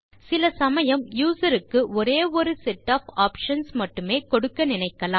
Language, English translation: Tamil, Sometimes we want the user to have only a given set of options